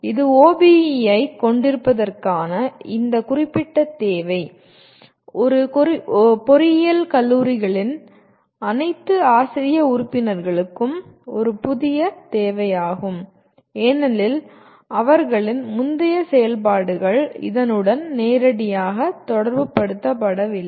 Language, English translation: Tamil, And this is, this particular requirement of having OBE is a new requirement for all faculty members of engineering colleges as their earlier activities were not directly related to this